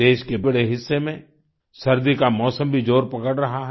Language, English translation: Hindi, A large part of the country is also witnessing the onset of winter